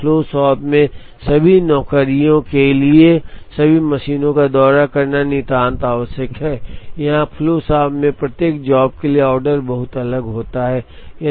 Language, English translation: Hindi, Whereas, in a flow shop it is absolutely necessary for all the jobs to visit all the machines, the order is very different for each job here in the flow shop the order has to be the same